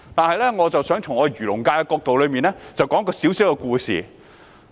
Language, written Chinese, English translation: Cantonese, 然而，我想從漁農界的角度，說一個小故事。, Nevertheless I would like to tell a short story from the perspective of the agriculture and fisheries sector